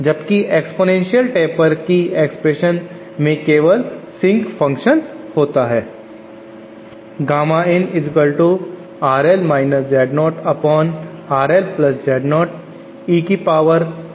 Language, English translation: Hindi, Whereas for the exponential taper we have a sync function only, there is no power of sync